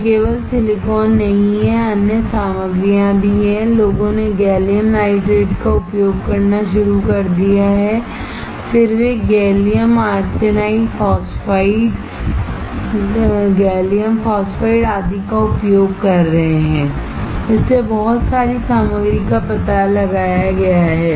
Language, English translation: Hindi, It is not only silicon, there are other materials as well, people have started using gallium nitrate, then they are using gallium GaAsP, gallium arsenide phosphide, GaP gallium phosphide etc